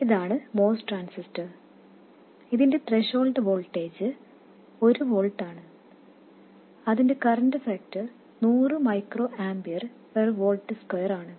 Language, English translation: Malayalam, This is the moss transistor whose threshold voltage is 1 volt and whose current factor is 100 microamping per volt square